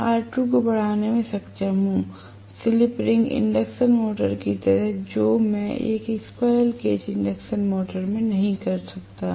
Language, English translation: Hindi, If I am able to increase R2, may be like in a slip ring induction motor, which I cannot do in a squirrel cage induction motor